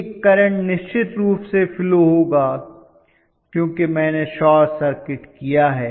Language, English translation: Hindi, A current would definitely flow because I have short circuited